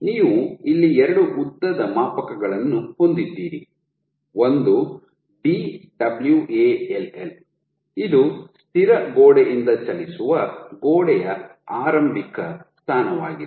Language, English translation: Kannada, So, you have two length scales here one is Dwall, which is initial position of the moving wall from the fixed wall